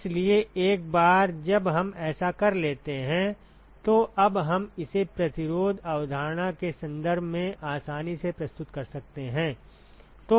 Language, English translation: Hindi, So, once we do that now we can easily represent it in terms of the resistance concept